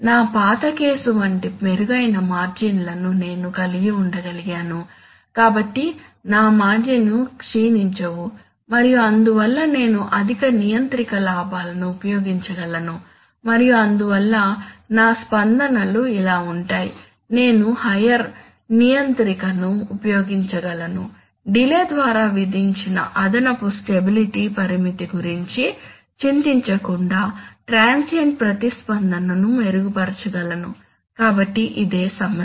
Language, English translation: Telugu, I could have improved margins like the, like my old case, so my margins remains would not have, do not degrade and therefore I can use high controller gains and therefore my responses would be like, I can use higher controller gets that I can improve transient response without worrying about the additional stability constraint imposed by the delay, so that is the problem